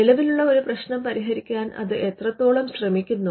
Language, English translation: Malayalam, And to what extent it seeks to address an existing problem